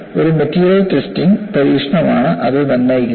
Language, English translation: Malayalam, That is determined by a material testing experiment